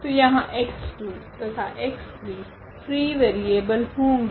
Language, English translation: Hindi, So, here x 2 and the x 3; x 2 and x 3 will be will be free variables so, there will be free variables now free variables